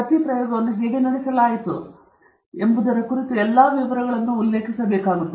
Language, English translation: Kannada, So, all of the details of how each experiment was conducted will be mentioned here